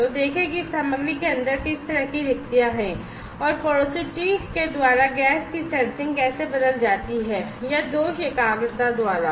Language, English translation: Hindi, So, see what kind of vacancies are there in inside this material and how the gas sensing is changed by porosity or, by defect concentration